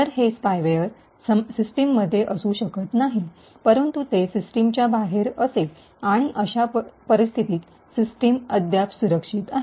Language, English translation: Marathi, So, these spyware may not be present in the system, but it will be outside the system, and in such a case the system is still secure